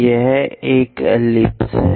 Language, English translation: Hindi, This is an ellipse